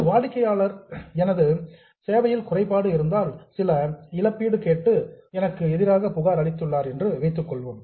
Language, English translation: Tamil, Suppose a customer has filed a complaint against me and wants to take some compensation because of deficiency in service